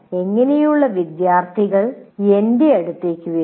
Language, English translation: Malayalam, What kind of students are coming to me